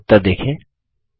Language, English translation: Hindi, See the result for yourself